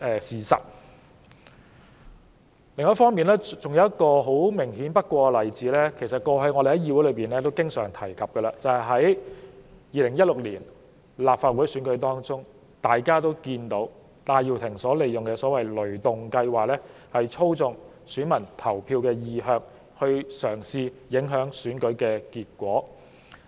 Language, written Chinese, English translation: Cantonese, 此外，還有一個明顯不過的例子，我們過往亦經常在議會內提出，就是在2016年的立法會選舉中，大家也看到戴耀廷利用所謂的"雷動計劃"，操縱選民投票意向，試圖影響選舉結果。, Besides there was another glaring example one that we have mentioned often in this Council the so - called ThunderGo campaign during the 2016 Legislative Council Election which as we all saw was an attempt by Benny TAI Yiu - ting to influence the election results by manipulating voters choice of candidates